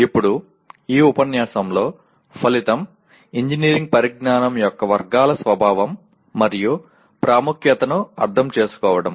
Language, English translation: Telugu, Now, coming to this unit, the outcome is understand the nature and importance of categories of engineering knowledge